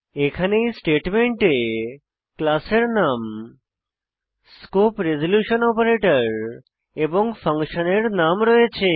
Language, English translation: Bengali, Here in this statement we have the class name The scope resolution operator and the function name